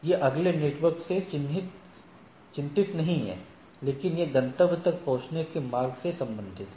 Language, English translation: Hindi, So, it is not the which is the next networks, but what is the path in the rest of the to reach the destination